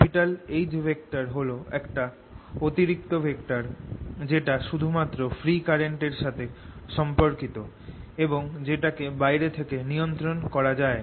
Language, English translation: Bengali, h is an additional vector which we are introducing that is related only to free current, which we can control from outside